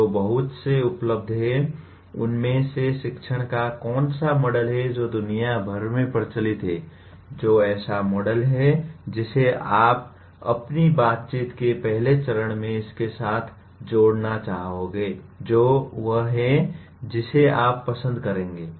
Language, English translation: Hindi, Which model of teaching out of the many that are available, that are practiced around the world which is the model that you would like to rather at the first stage of your interaction with this which is the one that you would prefer